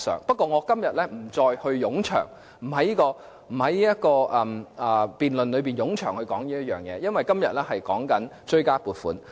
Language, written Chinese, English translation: Cantonese, 不過，我今天不會在這場辯論中冗長地討論這一點，因為今天討論的是追加撥款。, Nevertheless I will not discuss this point at length in this debate today because the theme of our discussion now is the supplementary appropriation